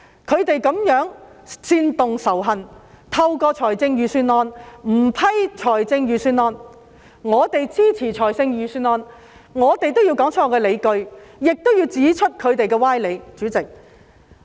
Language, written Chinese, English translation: Cantonese, 他們這樣煽動仇恨，不批准預算案，而我們支持預算案，既要說出我們的理據，亦要指出他們的歪理。, They incite hatred in such a way as to veto the Budget . We support the Bill . We will give our justifications and point out their fallacious reasoning as well